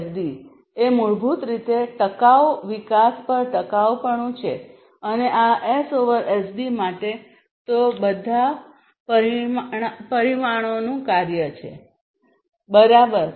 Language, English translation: Gujarati, So, S over SD is basically sustainability over sustainable development and for this S over SD has all of it is a function of all these parameters, right